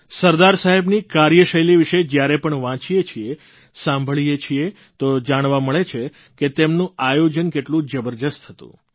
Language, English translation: Gujarati, When we read and hear about Sardar Saheb's style of working, we come to know of the sheer magnitude of the meticulousness in his planning